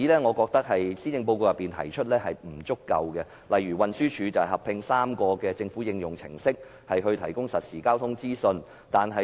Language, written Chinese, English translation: Cantonese, 我覺得，施政報告提出的例子並不足夠，例如運輸署合併3個政府應用程式，提供實時交通資訊。, I think the examples given in the Policy Address are not adequate . An example is that the Transport Department will merge three government applications to provide real - time traffic information